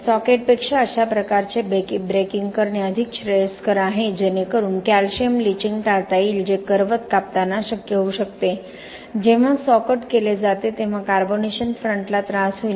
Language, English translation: Marathi, This kind of breaking is preferable than socket just to avoid the calcium leaching which could possibly occur during the saw cutting, the carbonation front will get disturbed when there is saw cut has been done